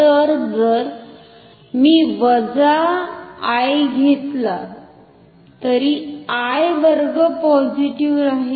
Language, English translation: Marathi, So, if I take minus I, I square will still be positive